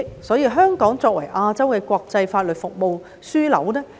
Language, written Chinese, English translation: Cantonese, 因此，香港絕對可以作為亞洲國際法律服務的樞紐。, Therefore Hong Kong can definitely serve as a hub for international legal services in Asia